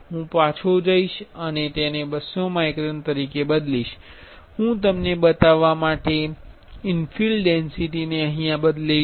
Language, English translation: Gujarati, I will go back and change it as 200 microns, and I will change infill density to show you